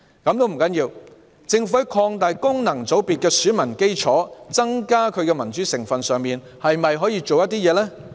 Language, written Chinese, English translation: Cantonese, 這也不要緊，政府在擴大功能界別的選民基礎，增加其民主成分方面，可否做一些工夫？, It does not matter; can the Government do something to expand the electoral base of FCs and increase its democratic component?